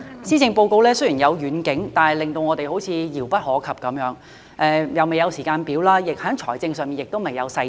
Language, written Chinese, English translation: Cantonese, 施政報告雖然有遠景，但令我們感到好像遙不可及，未有時間表，在財政上亦未有細節。, Although there is a vision in the Policy Address we feel that it is unattainable for there is neither a timetable nor any financial details